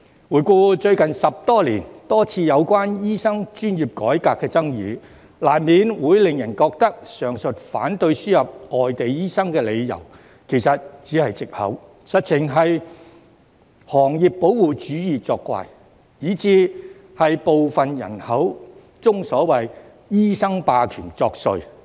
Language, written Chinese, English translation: Cantonese, 回顧最近10多年有關醫生專業改革的多次爭議，難免令人覺得上述反對輸入外地醫生的理由其實只是藉口，實情是行業保護主義作怪，甚至是部分人口中所謂"醫生霸權"作祟。, Looking back at the controversies over the last decade or so regarding the reform of the medical profession we will inevitably think that the above reasons for opposing the admission of foreign doctors are just excuses and there is in fact protectionism in the profession and even the so - called hegemony of the medical profession as depicted by some people